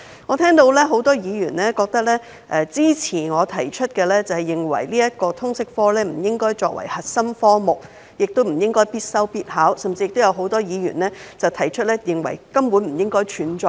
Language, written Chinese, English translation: Cantonese, 我聽到很多議員支持我提出的建議，不應將通識教育科列作核心科目，並規定學生必修必考，多位議員甚至認為通識科根本不應該存在。, From what I heard many Members support my proposal of removing the subject of Liberal Studies LS as a core subject and abolishing it as a compulsory study and examination subject . A number of Members even consider that the LS subject should no longer exist